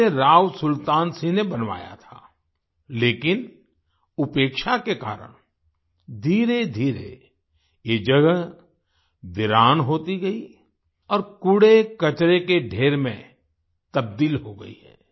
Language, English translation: Hindi, It was built by Rao Sultan Singh, but due to neglect, gradually this place has become deserted and has turned into a pile of garbage